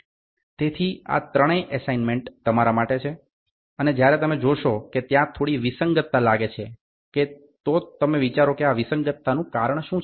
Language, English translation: Gujarati, So, these three are assignments for you and moment you measure if you find out there is some inconsistency think what is the reason for inconsistency